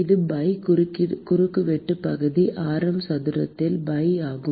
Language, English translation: Tamil, it is pi, cross sectional area is pi into radius square